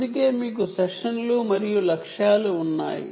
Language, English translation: Telugu, that is why you have sessions and targets